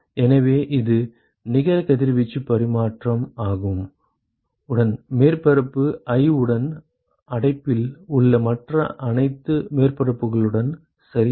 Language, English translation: Tamil, So, this is the net radiation exchange, by surface i with all other surfaces in the enclosure ok